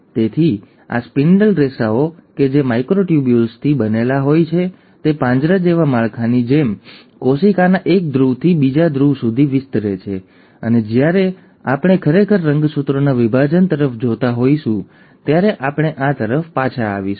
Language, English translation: Gujarati, So, these spindle fibres which are made up of microtubules, extend from one pole to the other pole of the cell like a cage like structure, and we will come back to this when we are actually looking at the separation of chromosomes